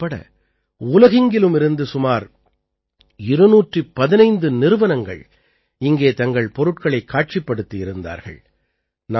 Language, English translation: Tamil, Around 215 companies from around the world including India displayed their products in the exhibition here